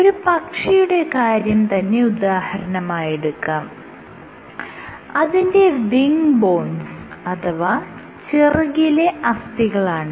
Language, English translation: Malayalam, If you take the example of a bird and you look at its wing bones, you would have a structure where which is